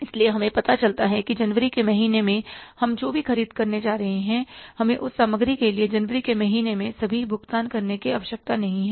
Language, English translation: Hindi, So we get to know that whatever we are going to purchase in the month of January, we are not required to make all the payment for that material in the month of January itself